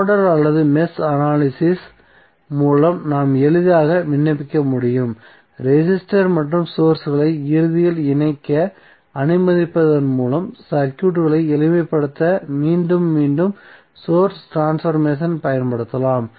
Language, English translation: Tamil, So that we can easily apply over nodal or mesh analysis, repeated source transformation can be used to simplify the circuit by allowing resistors and sources to eventually be combine